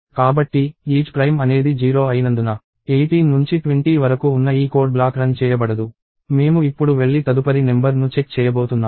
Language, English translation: Telugu, So, since isPrime is 0, this block of code from 18 to 20 will not execute; and we are going to now go and check the next number